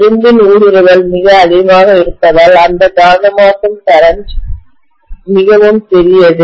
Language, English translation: Tamil, That magnetizing current is really really small because of the permeability of the iron being so high